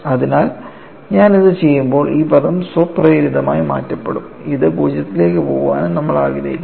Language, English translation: Malayalam, So, when I do this, this term automatically get knocked off and we also want to have this should go to 0